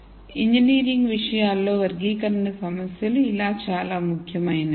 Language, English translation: Telugu, So, that is how classi cation problems are very important in engineering context